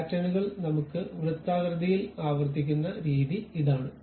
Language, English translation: Malayalam, This is the way we repeat the patterns in circular way